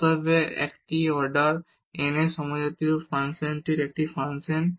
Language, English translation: Bengali, Therefore, this is a function of homogeneous function of order n